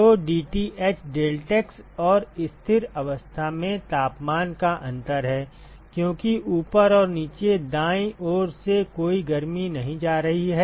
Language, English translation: Hindi, So, dTh is the temperature difference in deltax and at steady state because there is no heat that is going out from the top and the bottom right